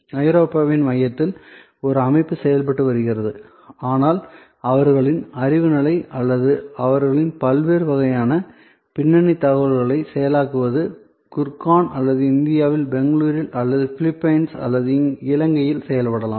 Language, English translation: Tamil, So, there can be an organization which is operating in the heart of Europe, but their knowledge work or their processing of their various kinds of background information may be done in Gurgaon or in Bangalore in India or could be done in Philippines or in Sri Lanka